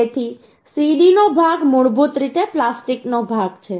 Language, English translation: Gujarati, So CD part is basically plastic, plastic part